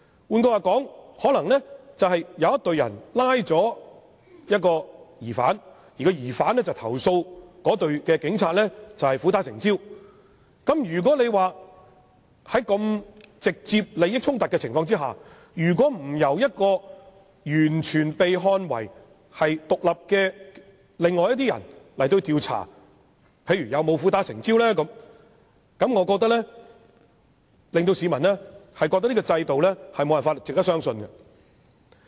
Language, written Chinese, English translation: Cantonese, 換言之，可能有一隊警務人員拘捕了一名疑犯，後來被該名疑犯投訴苦打成招，在這個有直接利益衝突的情況下，如不由完全被視為獨立的另外一些人員進行調查，查明有否苦打成招，我認為只會令市民認為這個制度無法值得相信。, In other words it is possible that a suspect has been arrested by a team of police officers and the suspect has later complained against the police officers for using force to make himher confess . As it may involve a direct conflict of interest if the case is not investigated by another team of officers who are deemed to be completely independent in order to ascertain whether confession was made after the suspect has been tortured I think the public will only regard the system as totally not trustworthy